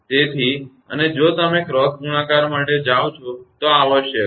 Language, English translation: Gujarati, Therefore, and if you go for cross multiplication this is required